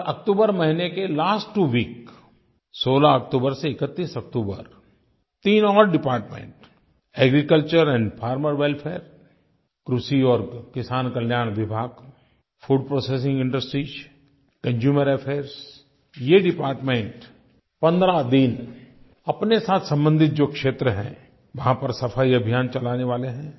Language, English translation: Hindi, Then during last two weeks of October from 16th October to 31st October, three more departments, namely Agriculture and Farmer Welfare, Food Processing Industries and Consumer Affairs are going to take up cleanliness campaigns in the concerned areas